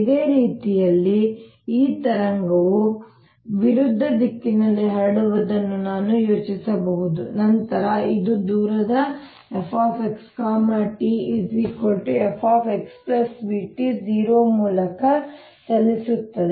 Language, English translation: Kannada, in a similar manner, i can think of this wave propagating in the opposite direction than it could have move by distance minus v t